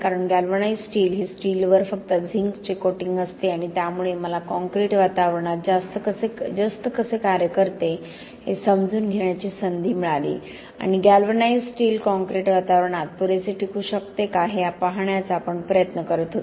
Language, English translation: Marathi, Because galvanized steel is just coating of zinc on the steel and that gave me the opportunity to understand how the zinc works in a concrete environment and we were trying to see whether galvanized steel could last sufficiently in the concrete environment